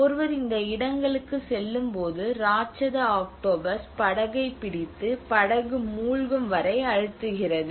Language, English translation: Tamil, When one goes to these places, the giant octopus holds onto the boat and sinks it till it drowns